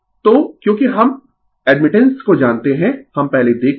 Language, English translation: Hindi, So, because we know admittance earlier we have seen